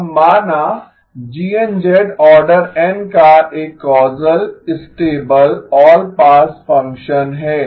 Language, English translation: Hindi, So GN of z is a causal stable all pass function